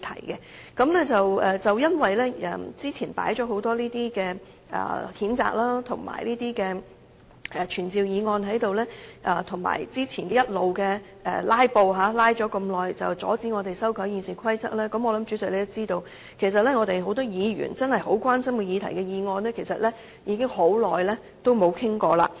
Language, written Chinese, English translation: Cantonese, 由於早前議程上放上了許多這類譴責和傳召議案，以及早前不斷"拉布"——因為要阻止我們修改《議事規則》而"拉"了很久——我相信主席也知道，有很多議員真正關心的議題的議案已很久未作討論。, As a matter of fact a number of motions to censure a certain Members or to summon officials to attend before the Council have been put on the agenda in addition to the incessant filibustering some time earlier―a prolonged filibuster for the purpose of preventing us from amending the Rules of Procedure―I believe the President also knows that we have no time to discuss motions that Members really concern about for a long time